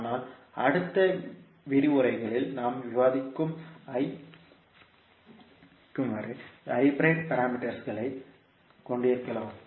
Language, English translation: Tamil, But we can have the hybrid parameters which we will discuss in the next lectures